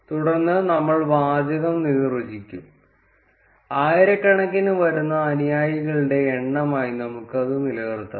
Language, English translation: Malayalam, Then we would define the text, let us keep it as the number of followers which are in thousands